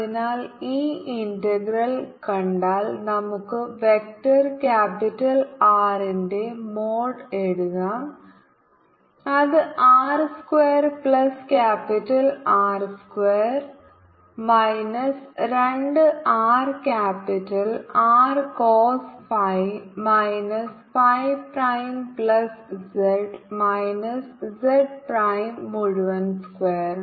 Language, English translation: Malayalam, so if we see this integral, it can write vector mode of vector capital r, which is r square capital r square minus two r capital r, cos phi minus phi prime, z minus z prime